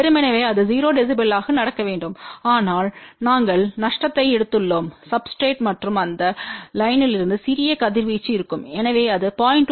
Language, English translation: Tamil, Ideally it should happen 0 db , but because we have taken a lossy substrate and also there will be small radiation from these lines hence it is about 0